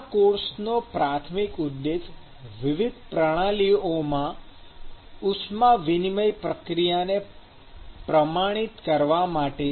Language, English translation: Gujarati, The primary objective of this course is essentially, to quantify the heat transfer process in various systems